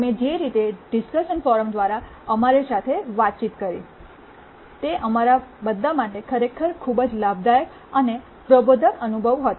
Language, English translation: Gujarati, The way you interacted with us through the discussion forum, it was really a very rewarding and enlightening experience for all of us